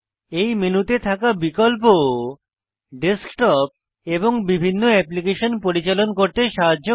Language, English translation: Bengali, This menu has many important options, which help you to manage your desktop and the various applications